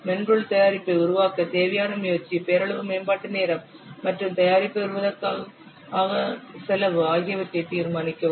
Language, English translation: Tamil, Determine the effort required to develop the software product, the nominal development time and the cost to develop the product